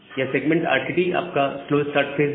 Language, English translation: Hindi, So, this one segment part RTT is your slow start phase